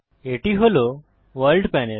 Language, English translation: Bengali, This is the World panel